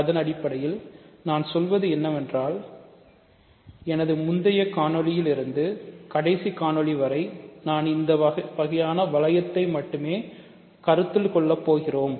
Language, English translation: Tamil, So, basically what I am saying is that in my earlier video, first video, last video whatever the definition of ring is, is the ring that we will consider